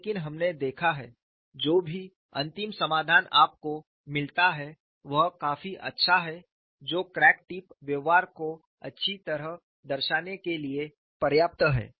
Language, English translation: Hindi, But we have seen whatever the final solution you get is reasonably good enough to represent the crack tip behavior quite well